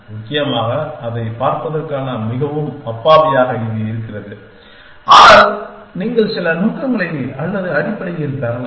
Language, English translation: Tamil, Essentially, it just a very naïve way of looking at it, but you can get some intention or that essentially